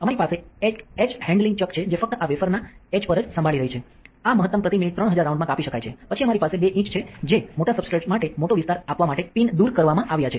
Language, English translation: Gujarati, We have an etch handling chuck that is only handling on the etch of the wafer, this one can maximum be spun at 3000 rounds per minute, then we have a two inch where the pins has been removed just to give a large area for large substrates